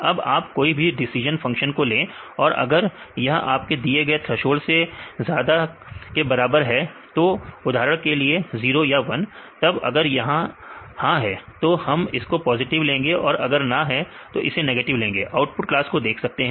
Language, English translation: Hindi, Now you take any decision function, then if this is a greater than or equal to your threshold for example, 0 or 1; then we can take this yes is positive and if it no then this is negative cases; you can see the output class